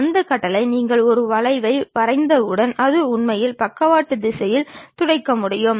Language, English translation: Tamil, Using that command once you draw a curve you can really sweep it in lateral direction to make the object